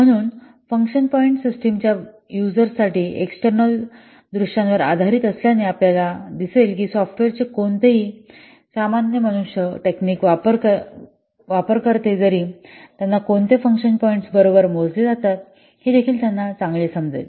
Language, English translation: Marathi, So, since function points are based on the user's external view of the system, you will see that even if any lame and non technical users of the software, they can also have better understanding of what function points are measuring